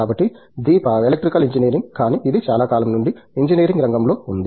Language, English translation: Telugu, So, Deepa in Electrical Engineering it ‘s of course, field of engineering that is being around for a very long time